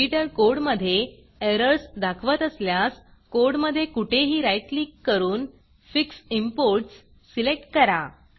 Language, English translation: Marathi, If the editor reports errors in your code, right click anywhere in the code and select Fix Imports